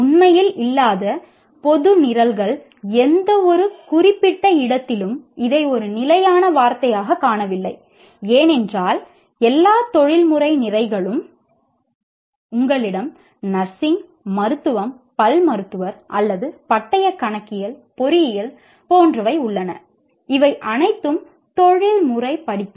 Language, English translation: Tamil, General programs, that is not really, we haven't found it as a standard word in any particular place because all professional programs, like you have nursing, medicine, dentist, or you have chartered accountancy, engineering, these are all professional courses